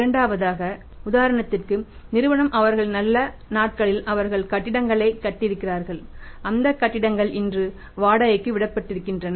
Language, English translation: Tamil, Second for example the firm during their good days they have constructed the buildings and those buildings are rented out today